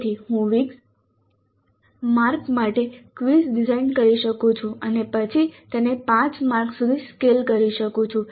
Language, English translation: Gujarati, So I may design the quiz for 20 marks then scale it down to 5 marks